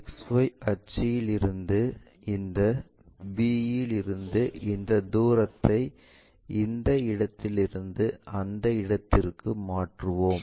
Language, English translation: Tamil, So, this length from XY axis to be that line we will project it from X 1 axis here to b 1